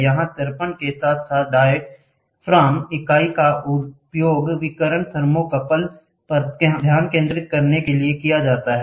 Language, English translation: Hindi, The here the diaphragm unit along with the mirror is used to focus the radiation on a thermocouple